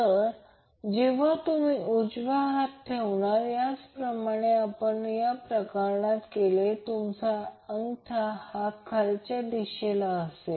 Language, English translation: Marathi, So when you place the right hand in the similar way as we did in this case your thumb will be in the downward direction